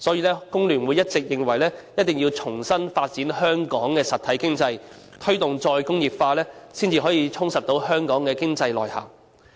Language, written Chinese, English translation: Cantonese, 所以，工聯會一直認為，我們必須重新發展香港的實體經濟，推動再工業化，才可以充實香港的經濟內涵。, For that reason FTU has always maintained that if we are to enrich Hong Kongs economy we should redevelop Hong Kongs real economy and promote the re - industrialization of Hong Kong